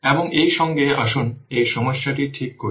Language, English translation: Bengali, And now with this, now let us take up this problem